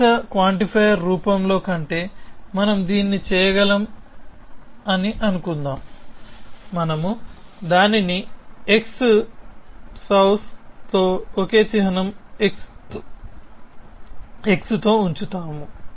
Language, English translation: Telugu, So, let us assume that we can do that than in the implicit quantifier form, we simply place it with x souse the same symbol x